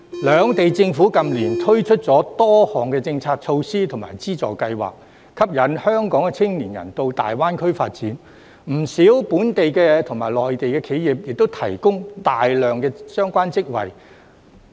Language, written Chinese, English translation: Cantonese, 兩地政府近年推出了多項政策措施及資助計劃，吸引香港的青年人到大灣區發展，不少本港及內地企業亦提供大量相關職位。, In recent years the two governments have introduced various policy measures and subsidy schemes to attract the young people of Hong Kong to develop their career in GBA and quite a number of Hong Kong and Mainland enterprises have offered numerous relevant jobs